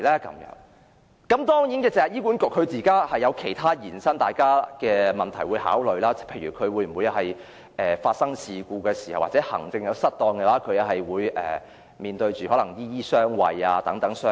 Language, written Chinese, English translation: Cantonese, 當然，大家亦需考慮醫管局現時其他衍生出的問題，例如有人批評在出現事故或行政失當時醫管局"醫醫相衞"等。, Certainly Members should also take account of other problems associated with HA at present . One example is that HA has been criticized for harbouring doctors in case of incidents or administrative blunders